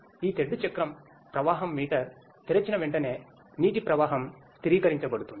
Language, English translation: Telugu, As soon as this paddle wheel flow meter is opened and the water flow is stabilized